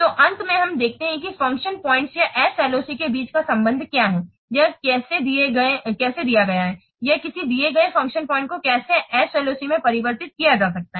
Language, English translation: Hindi, So, finally, let's see what the relationship or how, what is the relationship between function points or SLOC or how, a given a function point, how it can be conversed to SLOC